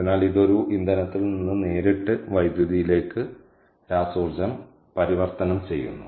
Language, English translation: Malayalam, so this is conversion of chemical energy from a fuel directly into electricity